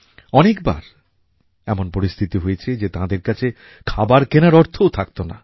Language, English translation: Bengali, There were times when the family had no money to buy food